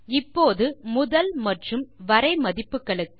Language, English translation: Tamil, Now for the From and To values